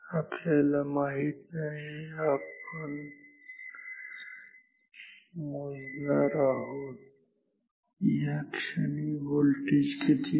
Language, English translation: Marathi, We do not know, we do not measure, what was the voltage at this moment or what is the voltage at this moment